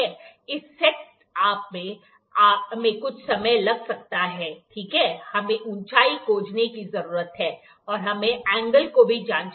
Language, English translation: Hindi, This set up might take some time, ok, we need to find the height, and we need to we can check the angle as well